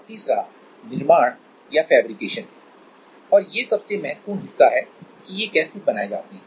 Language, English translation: Hindi, And, the third is fabrication or the most important part that is how are they made